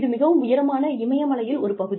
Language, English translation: Tamil, It is up in the Himalayas